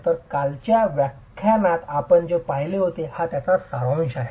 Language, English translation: Marathi, So, that's the gist of what we had seen in yesterday's lecture